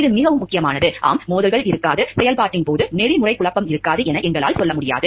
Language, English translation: Tamil, This is very important like yes, we cannot tell like there will be no conflicts of interest there, there will be no more ethical dilemma coming up in the course of action